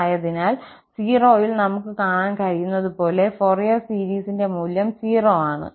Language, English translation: Malayalam, So, as we can see that at 0, the Fourier series value is 0